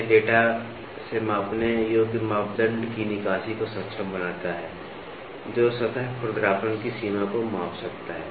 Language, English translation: Hindi, This enables the extraction of the measurable parameter from the data, which can quantify the degree of surface roughness